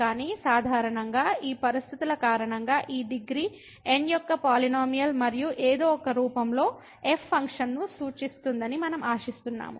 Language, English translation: Telugu, But in general also we expect that because of these conditions that this polynomial of degree and somehow in some form will represent the function